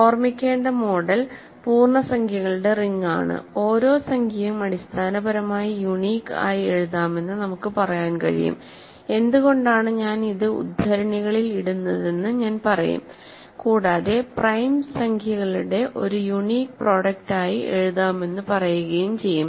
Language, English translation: Malayalam, So, model to keep in mind, in the ring of integers, we can say that every integer can be written essentially uniquely I will say why I will put this in quotes and say essentially can be written uniquely as a product of prime integers